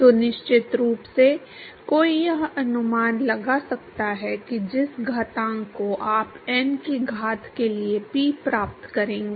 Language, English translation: Hindi, So, of course, one could guess that the exponent that you will get Pr to the power of n